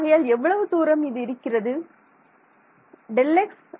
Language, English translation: Tamil, So, how much is this distance equal to